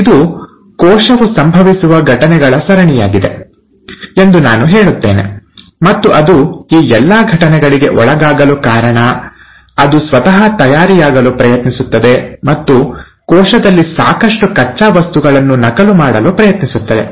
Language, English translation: Kannada, I would say it's a series of events that a cell undergoes, and the reason it undergoes all these events is because it tries to prepare itself, and tries to generate enough raw materials in the cell for duplication